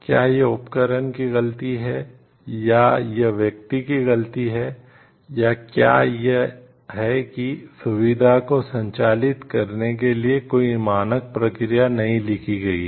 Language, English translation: Hindi, Is it the fault of the equipment, or is it the fault of the person, or is it because no standard processes is written how to operate at that facility